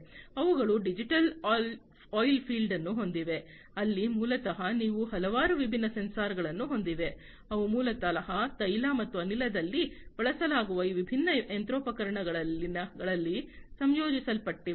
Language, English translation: Kannada, They have the digital oilfield, where basically you have number of different sensors that are equipped that are deployed basically in these different machinery that are used in oil and gas